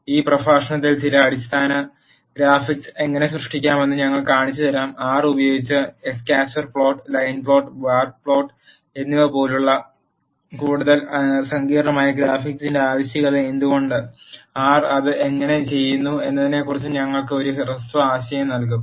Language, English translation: Malayalam, In this lecture, we are going to show you how to generate some basic graphics; such as scatter plot, line plot and bar plot using R, and we will also give a brief idea on why there is a need for more sophisticated graphics and how R does it